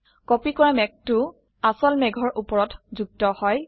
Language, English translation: Assamese, The copied cloud has been pasted on the top of the original cloud